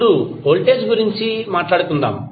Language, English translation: Telugu, Now, let us talk about voltage